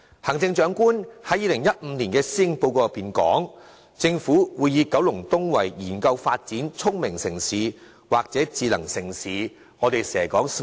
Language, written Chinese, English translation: Cantonese, 行政長官於2015年的施政報告中提出，政府會研究發展九龍東成為聰明城市或智能城市的可能性。, The Chief Executive said in his policy address in 2015 that the Government would explore the feasibility of developing Kowloon East into a Smart City . Members of the public are full of expectations for sure